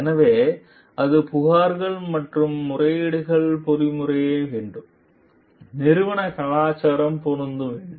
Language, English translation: Tamil, So, it must the complaints and the appeals mechanism, must fit the organizational culture